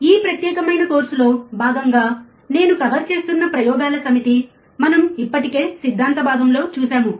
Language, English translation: Telugu, These are the set of experiments that I am covering as a part of this particular course which we have already seen in theory part